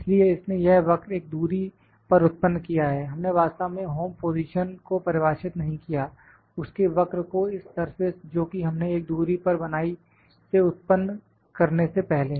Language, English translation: Hindi, So, it has generated the curve at a distance, we did not actually define the home position before it has generated a curve at place at a distance from this surface that we are generated